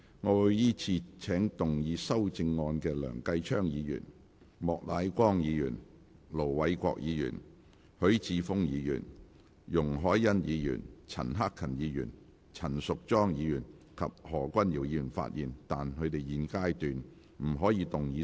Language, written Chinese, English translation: Cantonese, 我會依次請要動議修正案的梁繼昌議員、莫乃光議員、盧偉國議員、許智峯議員、容海恩議員、陳克勤議員、陳淑莊議員及何君堯議員發言，但他們在現階段不可動議修正案。, I will call upon Members who move the amendments to speak in the following order Mr Kenneth LEUNG Mr Charles Peter MOK Ir Dr LO Wai - kwok Mr HUI Chi - fung Ms YUNG Hoi - yan Mr CHAN Hak - kan Ms Tanya CHAN and Dr Junius HO; but they may not move amendments at this stage